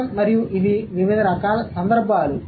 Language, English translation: Telugu, And these are the different kinds of context